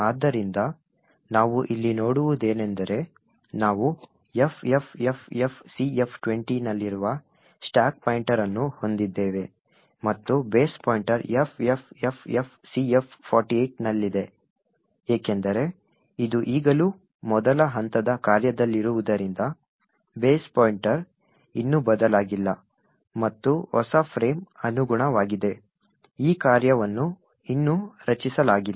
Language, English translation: Kannada, So, what we see here is that we have a stack pointer which is at FFFFCF20, ok, and the base pointer is at FFFFCF48 now since this is still at the first line of function the base pointer has not been changed as yet and the new frame corresponding to this function has not been created as yet